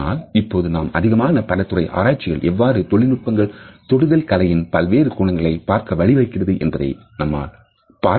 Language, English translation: Tamil, But now we find that the increasingly multidisciplinary research has made it possible to look at this particular art of touching in its technological dimensions